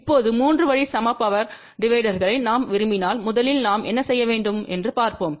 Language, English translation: Tamil, Now, let us first look at if you want 3 way equal power divider what do we need to do